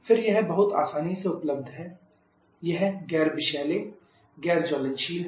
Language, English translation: Hindi, Again it is very easily available It is non toxic non flammable